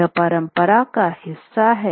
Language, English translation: Hindi, And this is part of the story